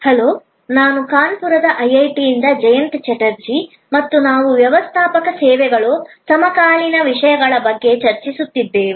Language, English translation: Kannada, Hello, I am Jayanta Chatterjee from IIT, Kanpur and we are discussing Managing Services, contemporary issues